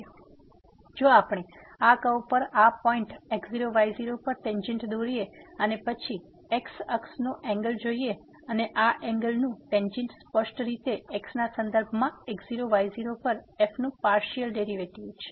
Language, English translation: Gujarati, Then, if we draw the tangent on this curve at this point and then, we note here the angle from the axis and the tangent of this angle would be precisely the partial derivative of with respect to at naught naught